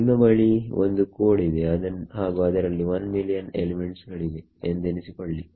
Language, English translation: Kannada, Imagine you have a code where there are 1 million elements